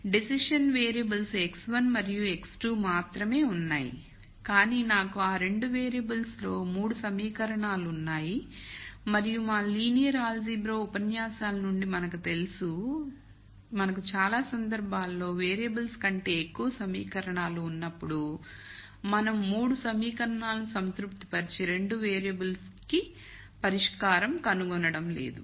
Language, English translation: Telugu, So, there are only decision variables x 1 and x 2, but I have 3 equations in those 2 variables and from our linear algebra lectures we know that when we have more equations than variables in many cases we are not going to find a solution for the 2 variables which will satisfy all the 3 equations